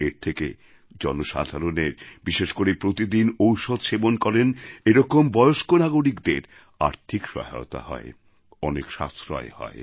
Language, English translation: Bengali, This is great help for the common man, especially for senior citizens who require medicines on a daily basis and results in a lot of savings